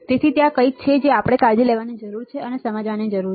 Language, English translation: Gujarati, So, there is a something that we need to take care we need to understand